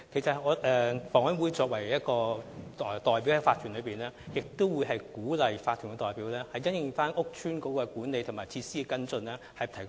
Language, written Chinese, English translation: Cantonese, 房委會作為法團的代表之一，亦會提供意見，鼓勵法團因應租置屋邨的管理及設施作出跟進。, As one of the representatives in OCs HA will also advise and encourage OCs to follow up the issues taking into account the management and facilities of TPS estates